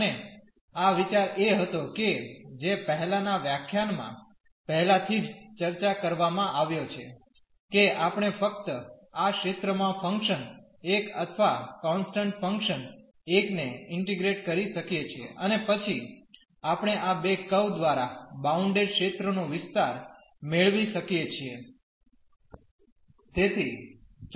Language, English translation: Gujarati, And, the idea was which has already been discussed in the previous lecture, that we can simply integrate the function 1 or the constant function 1 over this region and then we can get the area of the region bounded by these two curves